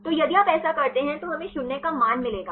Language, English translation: Hindi, So, now if you calculate this, this equal to 0